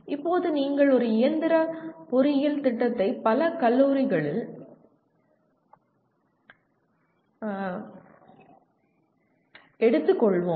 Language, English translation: Tamil, Now all, let us say you take a mechanical engineering program in several colleges